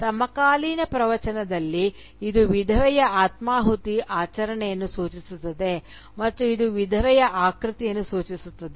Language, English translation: Kannada, In contemporary discourse, it refers both to the ritual of self immolation by the widow and also it refers to the figure of the widow herself